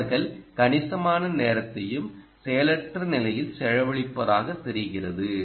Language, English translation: Tamil, they seem to be spending a significant amount of time and in the idle condition